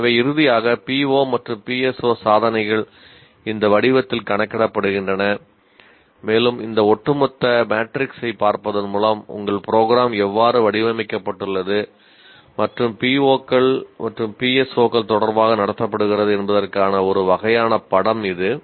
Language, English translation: Tamil, So finally the PO and PSO attainments are computed in this form and by looking at this overall matrix that you can see it is a it's a kind of a picture of how your program has been designed and conducted with respect to the P